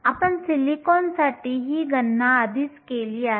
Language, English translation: Marathi, We already did this calculation for silicon